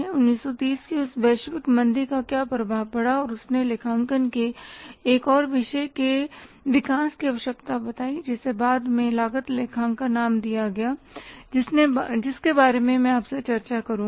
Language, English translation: Hindi, What was the impact of that global recession of 1930s and it how it necessitated the say development of the another discipline of accounting which was later on named as cost accounting that I will discuss with you